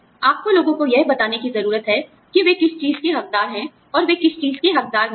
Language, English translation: Hindi, You need to tell people, what they are entitled to, and what they are not entitled to